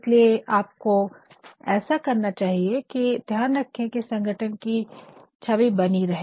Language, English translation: Hindi, Hence what you should do is you should actually see that the image of the organization is maintained